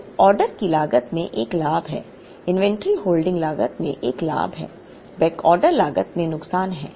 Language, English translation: Hindi, So, there is a gain in the order cost, there is a gain in the inventory holding cost, there is a loss in the backorder cost